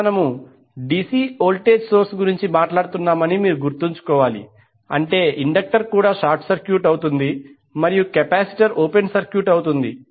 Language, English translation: Telugu, Now you have to keep in mind since we are talking about the DC voltage source it means that inductor will also be short circuited and capacitor will be open circuited